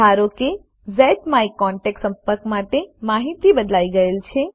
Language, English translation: Gujarati, Suppose the contact information for ZMyContact has changed